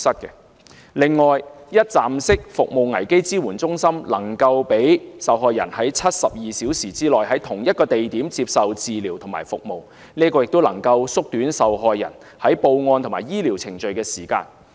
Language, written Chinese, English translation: Cantonese, 此外，一站式服務危機支援中心能夠讓受害人在72小時內，在同一地點接受治療和服務，這樣有助縮短受害人報案和醫療程序的時間。, Besides a one - stop crisis support centre should allow a victim to receive medical attentions and services at the same location within 72 hours as this will help to shorten the time the victim needs to report the case to the Police as well as to receive medical treatments